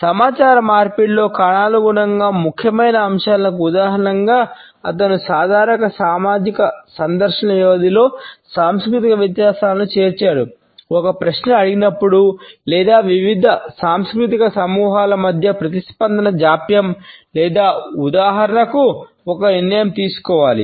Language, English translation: Telugu, As examples for chronemically significant aspects in communication, he included the cross cultural differences in the duration of ordinary social visits, response latency among different cultural groups when a question is asked or for example, a decision is to be made